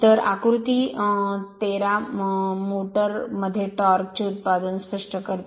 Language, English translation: Marathi, So, figure 13 illustrate the production of torque in a motor